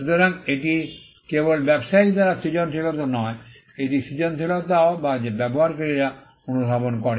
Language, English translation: Bengali, So, it is just not creativity by the trader, but it is also creativity that is perceived by the users